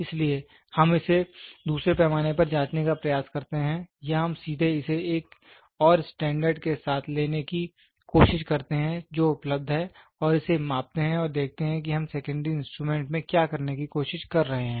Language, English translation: Hindi, So, we try to check it to another scale or we directly try to take it with another standard which is available and measure it and see that is what we are trying to do in secondary instruments